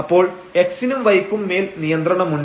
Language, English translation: Malayalam, So, there is a restriction on x y